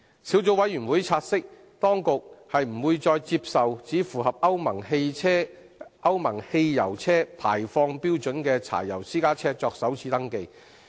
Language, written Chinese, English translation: Cantonese, 小組委員會察悉，當局不會再接受只符合歐盟汽油車排放標準的柴油私家車作首次登記。, The Subcommittee notes that the Administration will no longer accept first - time registration of diesel private cars only meeting the Euro petrol car emission standards